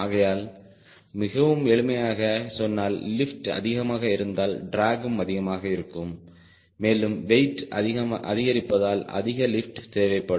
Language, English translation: Tamil, so in in a very simplistic term, the lift is more drag also will have its more contribution and since weight increment results is more lift